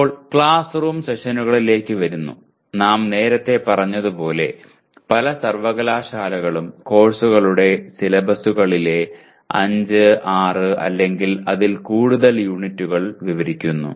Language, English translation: Malayalam, Now coming to the classroom sessions as we stated earlier many universities describe the syllabi of the courses in terms of 5, 6 or more units